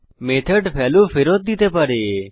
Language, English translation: Bengali, A method can return a value